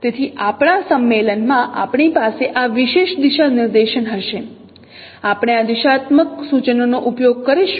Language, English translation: Gujarati, So in our convention we will have this particular directionality, we will be using this no directional notations